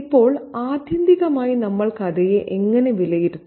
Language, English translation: Malayalam, Now, how do we evaluate the story ultimately